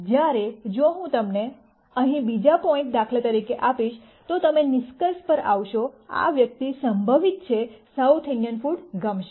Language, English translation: Gujarati, Whereas if I gave you another point here for example, then you would come to the conclusion, this person is likely to like South Indian food